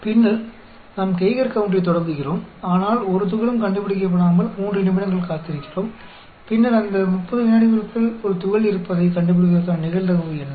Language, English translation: Tamil, Now, suppose we turn on the Geiger counter and wait for 3 minutes without detecting a particle, in this situation, we detect a particle within 30 seconds of starting the counter